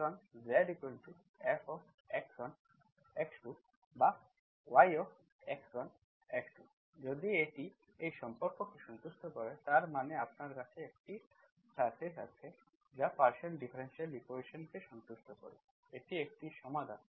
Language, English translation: Bengali, So Z equal to F of x1 and x2 or y of x1 and x2, if that satisfies this relation, that means you have a surface that satisfies partial differential equation, this is called solution